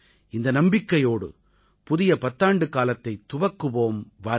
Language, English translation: Tamil, With this belief, come, let's start a new decade